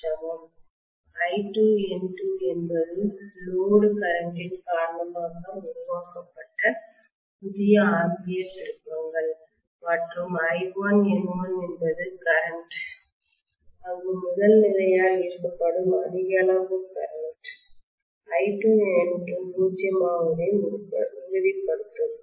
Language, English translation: Tamil, I2 N2 was the new ampere turns that were created because of the load current and I1 N1 is the current where the primary has essentially drawn excessive amount of current to make sure that I2 N2 is nullified